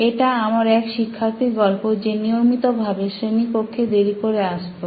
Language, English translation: Bengali, One of my students was very regular in coming late to classes